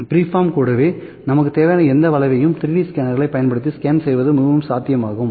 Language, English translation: Tamil, Even the freeform any curvature that we need is quite possible to be scan using the 3D scanners